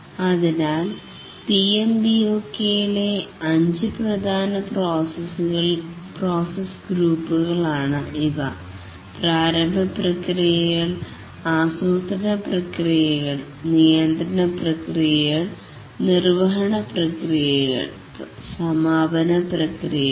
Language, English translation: Malayalam, So these are five main process groups in the PMBOK, the initiating processes, the planning processes, controlling processes, executing processes and closing processes